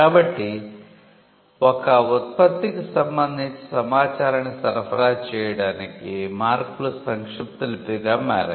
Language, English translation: Telugu, So, marks became a shorthand for supplying information with regard to a product